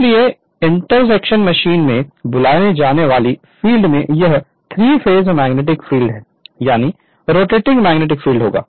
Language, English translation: Hindi, But in the you are what you call in the interaction machine it will be 3 phased magnetic field the rotating magnetic field